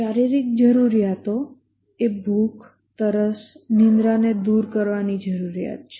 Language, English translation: Gujarati, The physiological needs are the need to overcome hunger, thirst, sleep, etc